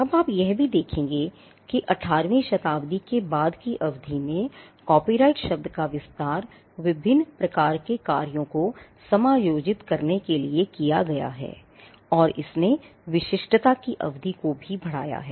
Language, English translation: Hindi, Now, you will also see that over the period of time since the 18th century the copyright term has extended to accommodate different kinds of works and it has also expanded increasing the term of the exclusivity